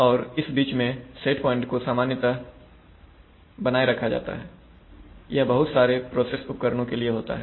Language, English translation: Hindi, And in between these set points are generally maintained, this happens for a lot of process equipment